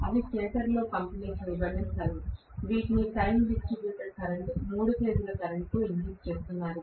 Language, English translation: Telugu, That are space distributed in the stator, which are being injected with time distributed current, three phase current